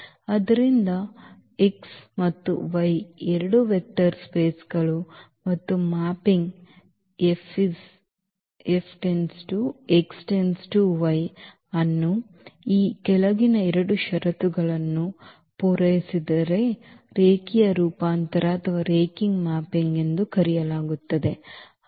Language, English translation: Kannada, So, X and Y be two vector spaces and the mapping F from X to Y is called linear transformation or linear mapping if it satisfies the following 2 conditions